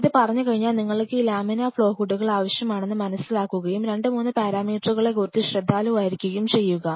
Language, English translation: Malayalam, And having said this you realize that you will be needing this laminar flow hoods and just be careful about 2 3 parameters